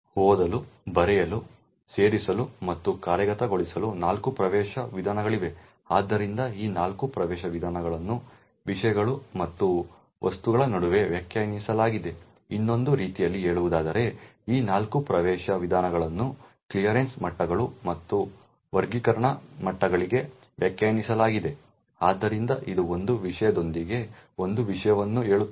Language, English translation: Kannada, There are four access modes read, write, append and execute, so these four access modes are defined between subjects and objects, in another words these four access modes are defined for clearance levels and classification levels, so it would say that a subject with a certain clearance level can access objects in a certain classification level